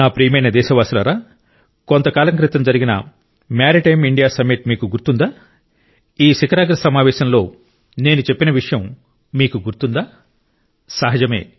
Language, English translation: Telugu, My dear countrymen, do you remember the Maritime India Summit held sometime ago